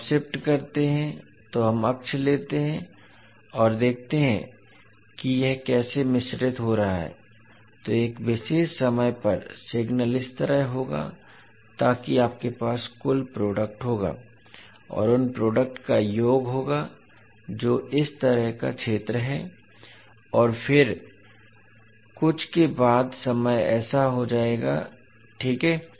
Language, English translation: Hindi, So when you shift, let us take the axis and see how it is getting mixed, so at one particular time the signal would be like this so you will have total product and the sum of those product which is the area like this and then after some time this will become like this, right